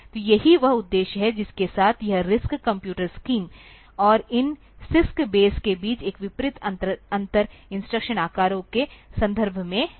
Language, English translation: Hindi, So, this is the objective with which this RISC computer scheme and one contrasting difference between these CISC base is in terms of the instruction sizes